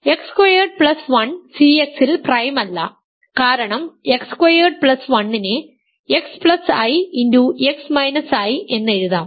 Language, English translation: Malayalam, X squared plus 1 is not X squared plus 1 is not prime in C X because X squared plus 1 can be written as X plus i times X minus i